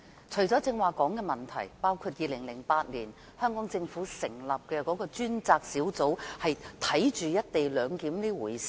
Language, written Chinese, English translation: Cantonese, 除了剛才說的問題，包括2008年香港政府成立專責小組監察"一地兩檢"這回事。, Apart from the problems mentioned just now other problems include the one with the task force set up by the Hong Kong Government in 2008 to oversee issues relating to the co - location arrangement